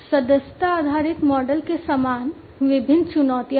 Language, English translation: Hindi, So, similarly, similar to the subscription based model, there are different challenges also